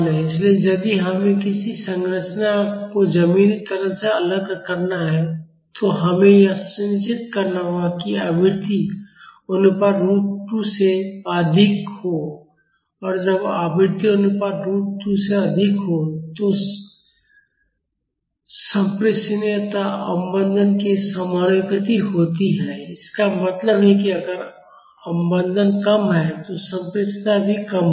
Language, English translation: Hindi, So, if we have to isolate a structure from ground acceleration, we have to make sure that the frequency ratio is higher than root 2 and when the frequency ratio is higher than root 2 the transmissibility is proportional to the damping; that means, if the damping is less, the transmissibility will also be less